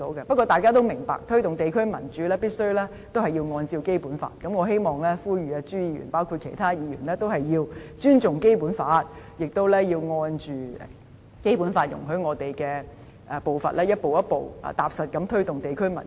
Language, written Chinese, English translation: Cantonese, 不過，大家也明白，推動地區民主必須按照《基本法》而行，因此我呼籲朱議員，以及其他議員，要尊重《基本法》，並按照《基本法》容許我們的步伐，逐步踏實地推動地區民主。, However Members also understand that the promotion of democracy at the district level must be done in accordance with the Basic Law so I call on Mr CHU and other Members to respect the Basic Law and promote democracy at the district level step by step pragmatically and according to the pace permitted by the Basic Law